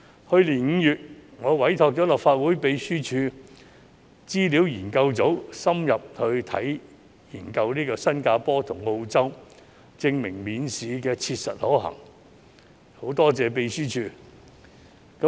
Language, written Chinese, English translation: Cantonese, 去年5月，我委託了立法會秘書處資料研究組深入研究新加坡及澳洲的情況，證明免試切實可行，我在此感謝立法會秘書處。, In May last year I commissioned the Research Office of the Legislative Council Secretariat to conduct an in - depth study on the situations in Singapore and Australia . The study indicated that examination - free admission is actually feasible . Here I would like to thank the Legislative Council Secretariat